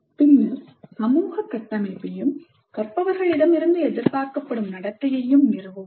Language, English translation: Tamil, Then establish the social structure and the expected behavior of the learners